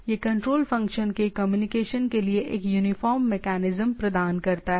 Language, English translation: Hindi, This provides a uniform mechanism for communication of control function